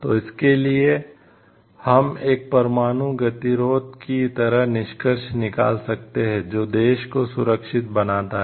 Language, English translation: Hindi, So, for that we can conclude like nuclear deterrence makes the country safer